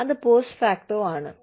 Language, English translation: Malayalam, That is post facto